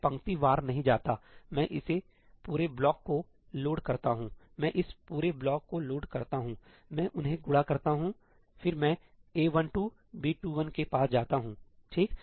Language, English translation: Hindi, I do not go row wise; I load this entire block, I load this entire block, I multiply them, then I go to A12, B21